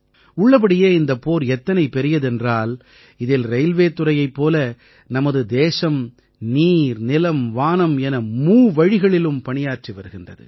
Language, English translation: Tamil, In fact, this battle is so big… that in this like the railways our country is working through all the three ways water, land, sky